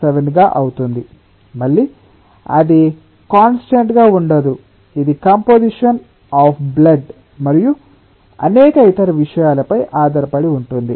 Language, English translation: Telugu, four, blood, again, it is not a constant, it is dependent on the composition of the blood and many other things